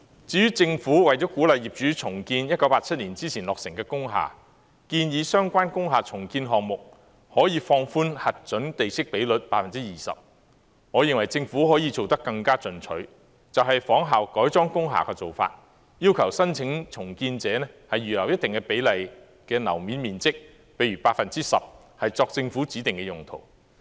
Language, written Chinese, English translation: Cantonese, 至於政府為了鼓勵業主重建1987年之前落成的工廈，建議相關工廈重建項目可以放寬核准地積比率 20%， 我認為政府可以做得更進取，就是仿效改裝工廈的做法，要求申請重建者預留一定比例的樓面面積，例如 10%， 作政府指定用途。, In order to encourage owners to redevelop industrial buildings constructed before 1987 the Government proposed to allow relaxation of the maximum permissible plot ratio by up to 20 % for relevant redevelopment projects . In this regard I hold that the Government can adopt a more aggressive approach similar to that for the conversion of industrial buildings to require redevelopment applicants to reserve a certain percentage of floor space say 10 % for specific uses prescribed by the Government